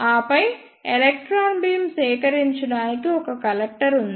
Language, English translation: Telugu, And then we have a collector to collect the electron beam